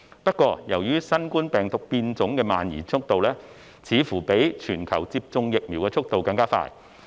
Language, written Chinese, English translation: Cantonese, 不過，由於新冠病毒變種的蔓延速度，似乎較全球接種疫苗的速度更快。, Nevertheless the spread of the coronavirus variants seems to outrun the global vaccination rate